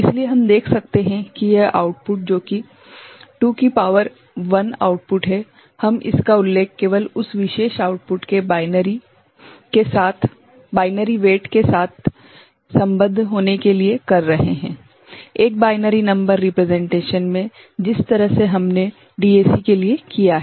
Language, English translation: Hindi, So, we can see that this output which is 2 to the power 1 output, we are mentioning is just to associate with the binary weight of that particular output ok, in a binary number representation the way we have done for DAC